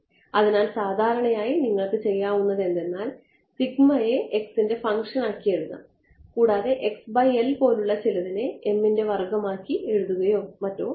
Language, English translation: Malayalam, So, typically what you would do is that sigma you would make a function of x and you would do something like x by L to some power m ok